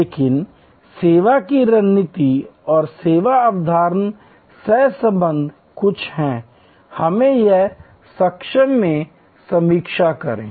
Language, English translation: Hindi, But, service strategy and service concept correlation is something, let us briefly review here